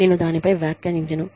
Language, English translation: Telugu, I will not comment on that